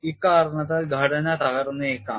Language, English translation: Malayalam, Because of this, the structure may collapse